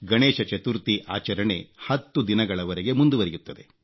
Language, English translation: Kannada, Ganesh Chaturthi is a tenday festival